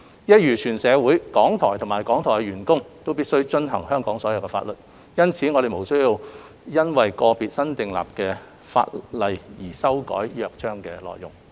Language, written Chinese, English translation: Cantonese, 一如全社會，港台及港台員工都必須遵守所有香港法律，因此我們並無需要因為個別新訂立的法例而修改《約章》的內容。, RTHK and its staff as the whole society have to abide by all Hong Kong laws . In this connection it is not necessary to make changes to the Charter arising from new legislation